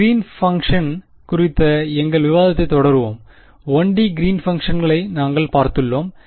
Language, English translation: Tamil, We will continue our discussion about Green’s function; we have looked at 1 D Green’s functions ok